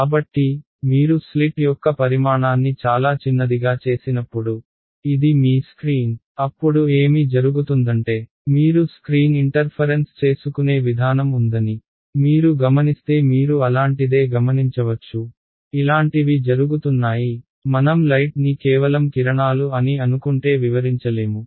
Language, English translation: Telugu, So, when you make the size of the slit much smaller right, so this is your screen, then what happens is that you observe that there is a interference pattern on the screen right you will observe something like; something like this is happening which cannot be explained if I assume light to be just rays right